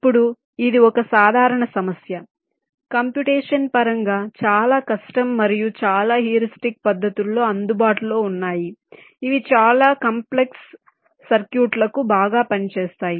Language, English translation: Telugu, now the general problem of course is very difficult, computational, complex and many heuristics are available which work pretty well for very complex circuits